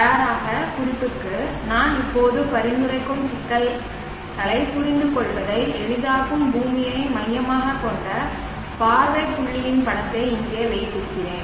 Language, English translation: Tamil, For ready reference I am keeping here the picture of the earth centric view point that will make you easy to understand the problem that I will be suggesting right now